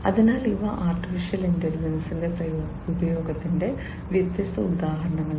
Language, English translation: Malayalam, So, these are different examples of use of AI